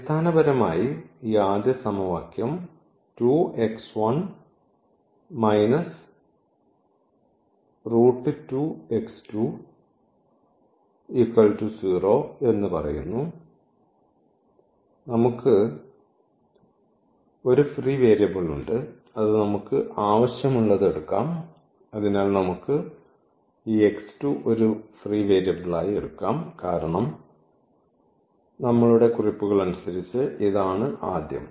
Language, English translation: Malayalam, So, we have basically this first equation which says that 2 x 1 minus square root 2 x 2 is equal to 0 and we have one free variable which we can take whichever we want, so let us take this x 2 is a free variable because as per our notations here this is the first the p both here